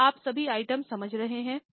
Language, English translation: Hindi, Are you getting all the items